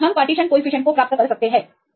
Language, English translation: Hindi, So, we can get the partition coefficient right